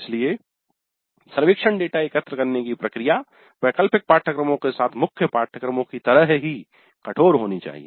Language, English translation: Hindi, So the process of collecting survey data must remain as rigorous with elective courses as with core courses